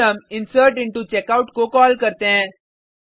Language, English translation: Hindi, We then, call insertIntoCheckout